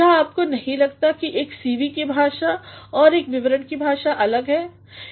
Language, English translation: Hindi, Do you not think that the language of a CV and the language of a report are different